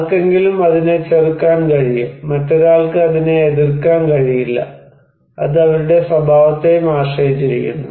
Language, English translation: Malayalam, Somebody can resist that one, somebody cannot resist that one, it depends on their characteristics also